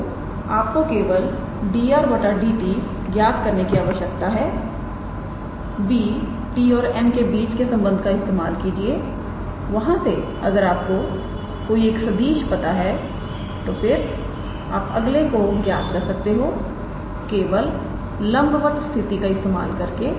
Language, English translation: Hindi, So, you just have to calculate those dr dt use the relation between b t and n and from there if you know one of the vectors you can calculate the other one by simply using the perpendicularity condition